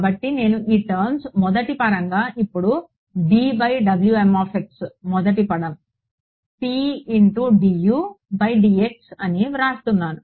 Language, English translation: Telugu, So, I am writing this guy as the first term now d by dx of W m x first term P x d U x by d x